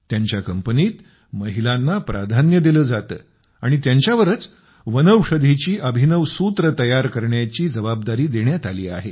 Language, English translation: Marathi, Priority is given to women in this company and they are also responsible for innovative herbal formulations